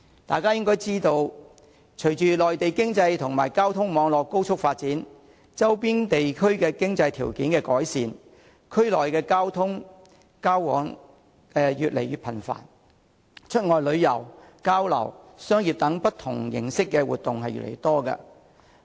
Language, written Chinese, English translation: Cantonese, 大家應該知道，隨着內地經濟和交通網絡高速發展，以及周邊地區經濟條件的改善，區內交往越來越頻繁，出外旅遊、交流和商業等不同形式的活動亦越來越多。, As we all know with rapid development of the Mainland economy and its transport network and coupled with an improved economic conditions of the regions nearby interactions within a region and various activities including outbound tours exchanges and commercial activities etc